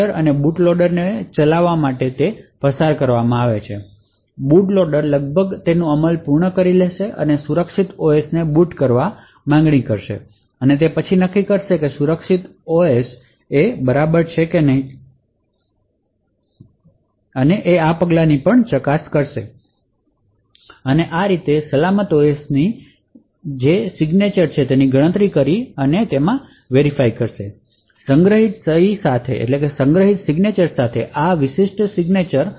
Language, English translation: Gujarati, After the boot loader is nearly completing its execution and would want to boot the secure OS it could first determine that the signature of the secure OS is correct this can be verified but checking the footprint or by computing the signature of the secure OS present in the flash and verifying this particular signature with a stored signature